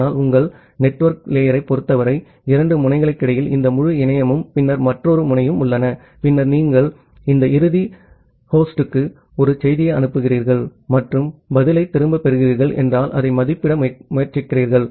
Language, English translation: Tamil, But in case of your network layer, in between the two nodes you have this entire internet and then and another node and then you are trying to estimate that, if you are sending a message to this end host and receiving back a reply what is the average round trip time it is taking